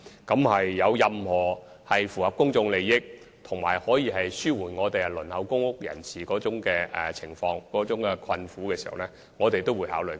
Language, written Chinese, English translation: Cantonese, 若有任何符合公眾利益，以及可紓緩輪候公屋人士困苦情況的建議，我們均會考慮。, We will consider any proposals which are beneficial from a public interest perspective and which can ease the hardship faced by those who are waiting for allocation of public housing units